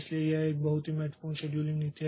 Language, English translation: Hindi, So, these are the scheduling criteria